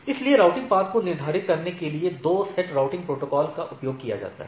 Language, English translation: Hindi, So, 2 sets of routing protocols are used to determine the routing paths within the AS